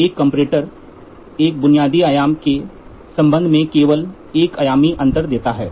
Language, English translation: Hindi, A comparator gives only a dimensional difference in relation to a basic dimension